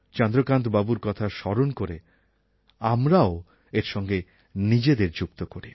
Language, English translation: Bengali, While thinking of Chandrkant Kulkarni, let us also follow him